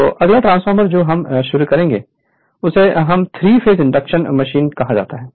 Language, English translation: Hindi, So, next we will start for your what you call that 3 phase induction machine